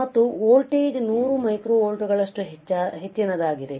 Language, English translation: Kannada, And the voltage is as high as 100 microvolts lasts for several milliseconds